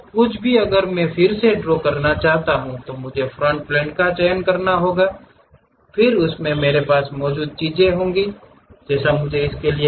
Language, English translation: Hindi, Now, anything if I want to really draw again I have to pick the Front Plane and so on things I have to do